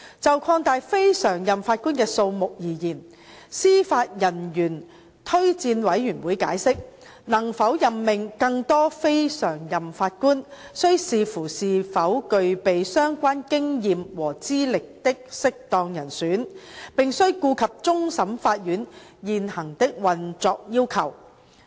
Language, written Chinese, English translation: Cantonese, 就擴大非常任法官的數目而言，司法人員推薦委員會解釋，能否任命更多非常任法官，須視乎是否有具備相關經驗和資歷的適當人選，並須顧及終審法院現行的運作要求。, With regard to expanding the pool of NPJs the Judicial Officers Recommendation Commission JORC explained that whether more NPJs will be appointed depends on the availability of suitable persons with the relevant experience and qualification taking into consideration the prevailing operational requirements of the Court of Final Appeal CFA